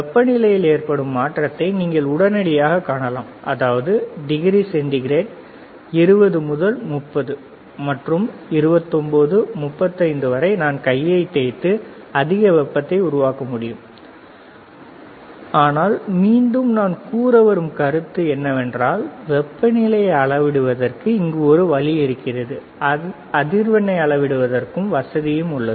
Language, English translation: Tamil, You can immediately see the change in the in the temperature, that is degree centigrade right from 20 to 80 and to 29, 25 if I generate more heat by rubbing the hand it will even show more, but again the point that I am making is there is a provision of measuring a temperature, there is a provision of measuring frequency